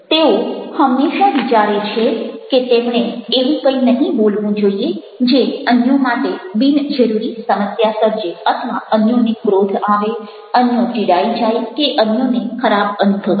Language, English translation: Gujarati, they always think that they should not speak any such thing which might unnecessarily create problem for others, or others should get angry, other should get annoyed, others should feel bad